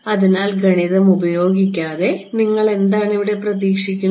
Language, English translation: Malayalam, So, without doing the math, what do you intuitively expect